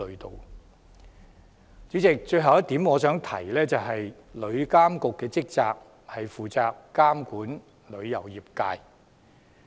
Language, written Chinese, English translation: Cantonese, 代理主席，我想提的最後一點是，旅監局的職責是監管旅遊業界。, Deputy President I come to my last point . While TIA is established to regulate the travel trade the Tourism Board is responsible for promoting tourism overseas